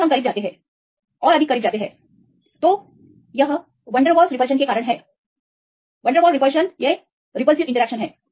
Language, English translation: Hindi, Then we go closer; again more closer if you see more closer then it is because of van der Waals repulsion, they have high repulsive interactions